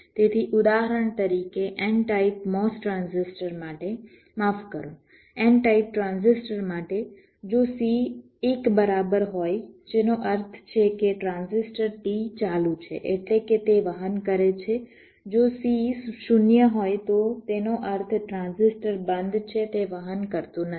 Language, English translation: Gujarati, so ah, for n type mos transistor, for example sorry for a n type transistor if c equal to one, which means the transistor t is on, which means it conducts